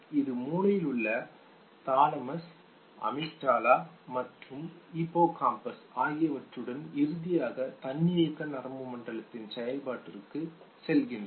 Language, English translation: Tamil, That it takes in the brain, one where you have the thalamus, the amygdala and the hippocampus which finally goes to the activation of the autonomic nervous system